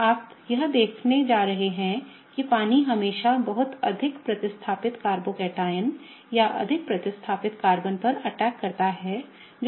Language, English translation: Hindi, So, you are going to see that the water always pretty much attacks the more substituted carbocation or more substituted Carbon that could have formed in the reaction